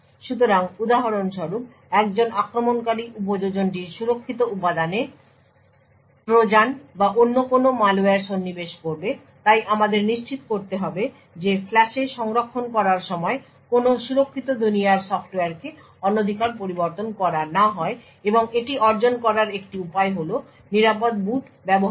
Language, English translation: Bengali, So, for example an attacker would insert Trojan’s or any other malware in the secure component of the application thus we need to ensure that no secure world software gets tampered with while storing in the flash and one way to achieve this is by using secure boot